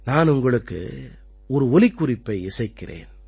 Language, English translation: Tamil, Let me play to you one more audio clip